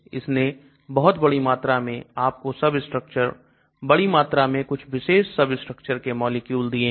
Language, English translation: Hindi, So it finds you huge number of substructures, huge number of molecules with this particular substructure